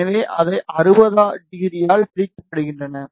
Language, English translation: Tamil, So, they are separated by 60 degree